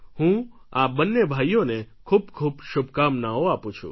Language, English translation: Gujarati, I would like to congratulate both these brothers and send my best wishes